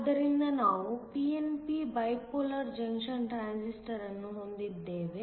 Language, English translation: Kannada, So, we have a pnp Bipolar Junction Transistor